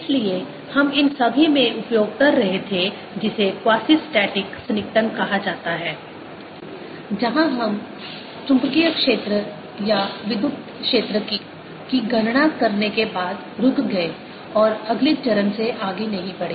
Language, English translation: Hindi, so we were using in all this something called the quasistatic approximation, where we stopped after calculating the magnetic field or electric field and did not go beyond to the next step